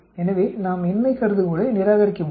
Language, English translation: Tamil, 84 so you cannot reject the null hypothesis